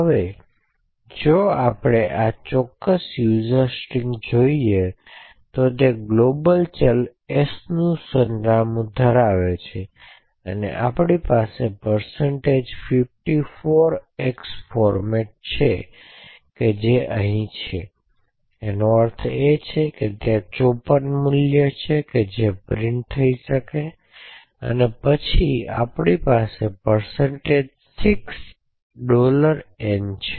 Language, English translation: Gujarati, Now if we look at this particular user string, so what we see is that it has the address of the global variable s present initially second we have a format attribute %54x which is present here which essentially means that there is 54 values that may be printed and then we have %6$n